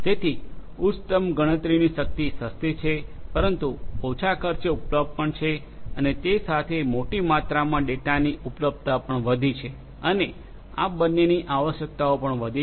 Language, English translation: Gujarati, So, high end computational power cheaper, but available at low cost and coupled with that the amount of large amounts of data have the availability of that data has also increased and the requirements for both of these has also increased